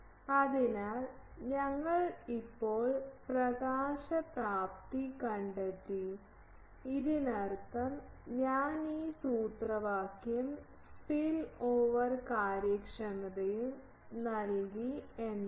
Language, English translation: Malayalam, So, we have now found out the illumination efficiency, found out means this is I have given this formula and the spillover efficiency we have derived